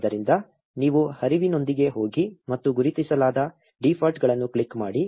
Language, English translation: Kannada, So, you just go with the flow and click the defaults that are ticked